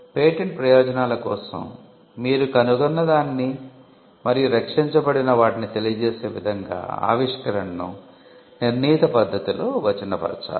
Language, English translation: Telugu, But for the purposes of patenting, you need to textualize the invention in a determined manner in such a way that you can convey what has been invented and what has been protected